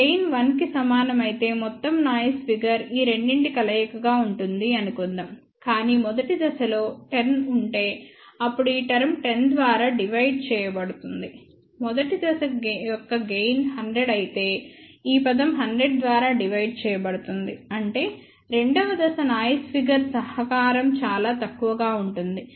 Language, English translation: Telugu, Suppose, if the gain is equal to 1, then what will happen overall noise figure will be combination of these two, but if the first stage has a gain of let say 10, then this term will be divided by 10; but if the gain of the first stage is 100 then this term will be divided by 100; that means, the second stage noise figure contribution will be very very small